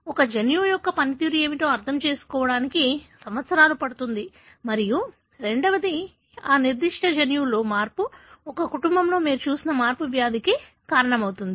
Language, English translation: Telugu, It takes years to understand what is the function of a gene and second, how a change in that particular gene, the change that you have seen in a family is the one that is causing the disease